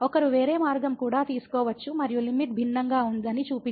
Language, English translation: Telugu, One can also take some other path and can show that the limit is different